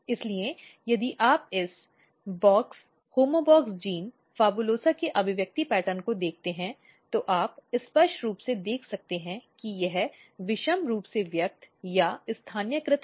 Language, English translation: Hindi, So, if you look the expression pattern of this box homeobox gene PHABULOSA, so you can clearly see this is very symmetrical asymmetrically expressed or localized